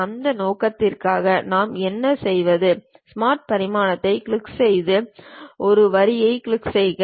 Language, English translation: Tamil, For that purpose what we do is, click Smart Dimension, click this line